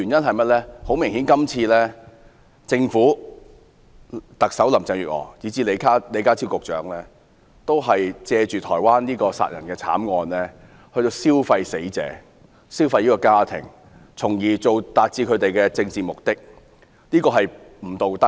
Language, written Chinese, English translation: Cantonese, 很明顯，政府、特首林鄭月娥以至李家超局長今次借去年台灣的殺人慘案，"消費"死者及她的家庭，從而達至他們的政治目的，這是不道德的。, Obviously the Government Chief Executive Carrie LAM as well as Secretary John LEE are piggybacking on the homicide in Taiwan last year and taking advantage of the victim and her family to attain their political objective . It is just immoral to do so